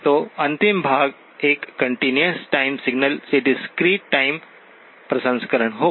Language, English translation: Hindi, So the last part will be the discrete time processing of a continuous time signal